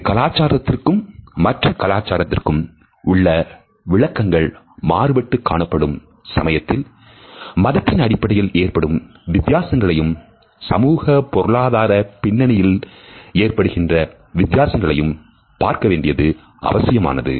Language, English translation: Tamil, If the interpretations and nature are not consistent amongst different cultures, we find that the differences of religions and differences with socio economic background are also important